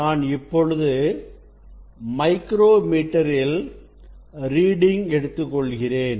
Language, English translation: Tamil, Now, I will take reading of the micrometer